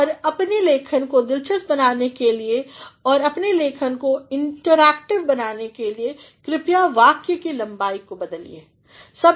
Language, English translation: Hindi, And, in order to make your writing, interesting and in order to make your writing interactive please vary the sentence length